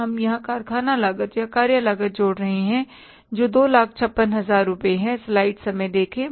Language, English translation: Hindi, We are adding here the factory cost or the works cost, that is $2,000000, 6,000 rupees